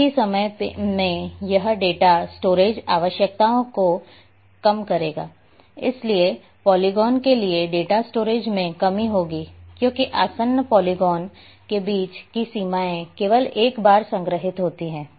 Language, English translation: Hindi, At the same time it will reduce the data storage requirements, so the reduction in the data storage for polygons because boundaries between adjacent polygons are stored only once